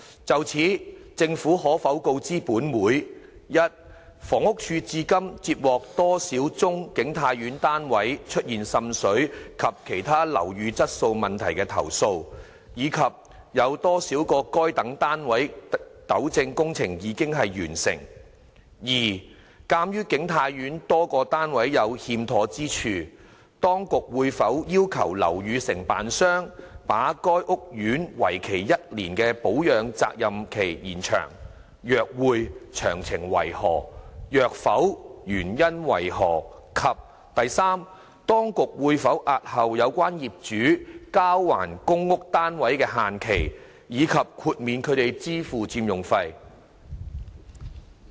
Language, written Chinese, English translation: Cantonese, 就此，政府可否告知本會：一房屋署至今接獲多少宗景泰苑的單位出現滲水及其他樓宇質素問題的投訴，以及有多少個該等單位的糾正工程已完成；二鑒於景泰苑多個單位有欠妥之處，當局會否要求樓宇承建商把該屋苑為期1年的保養責任期延長；若會，詳情為何；若否，原因為何；及三當局會否押後有關業主交還公屋單位的限期，以及豁免他們支付佔用費？, As a result the owners concerned have difficulties in surrendering their PRH flats within the deadlines pursuant to the aforesaid stipulation . In this connection will the Government inform this Council 1 of the number of complaints about water seepage and other building quality problems in the flats of King Tai Court received by the Housing Department so far as well as the number of such flats with rectification works completed; 2 given that defects have been found in a number of flats in King Tai Court whether the authorities will require the building contractor to extend the one - year warranty period for the housing estate; if so of the details; if not the reasons for that; and 3 whether the authorities will extend the deadlines for surrendering the PRH flats by the owners concerned and waive their payment of the occupation fees?